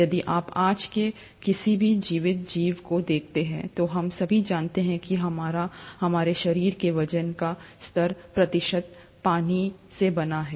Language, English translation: Hindi, If you were to look at any living organism as of today, we all know that our, seventy percent of our body weight is made up of water